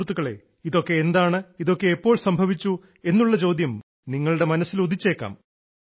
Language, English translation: Malayalam, Friends, the question arising in your mind must be…what is this matter all about and when and how did this happen